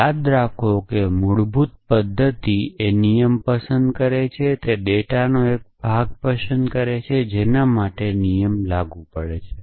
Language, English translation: Gujarati, So, remember that the basic mechanism is pick a rule pick a piece of data for which the rule is applicable and apply the rule essentially